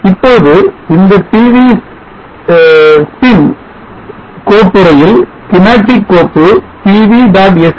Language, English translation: Tamil, Now we see that in the pv sim folder the schematic file P V